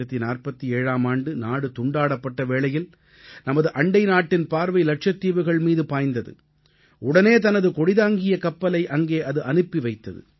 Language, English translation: Tamil, Soon after Partition in 1947, our neighbour had cast an eye on Lakshadweep; a ship bearing their flag was sent there